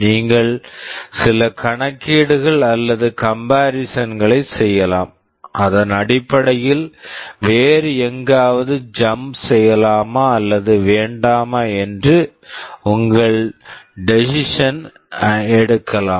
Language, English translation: Tamil, You can make some calculations or comparisons, and based on that you can take your decision whether to jump somewhere else or not